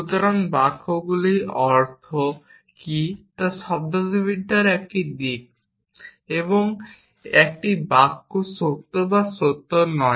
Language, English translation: Bengali, So, what do the sentences mean is one aspect of semantics and is a sentence true or not true is the other aspect of semantics